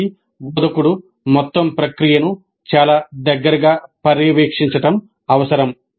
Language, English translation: Telugu, This requires very close monitoring the whole process by the instructor